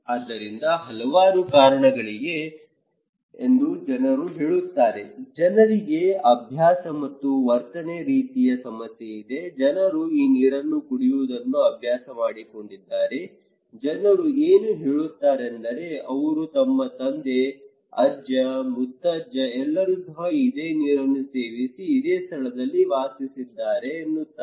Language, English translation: Kannada, So, people saying that the several reasons are there, people have a habit and attitude kind of problem, people became used to with this what they are drinking, they would say no my father and my forefathers, my grandfathers, my grand grandfathers, they all are living here, they are drinking the same water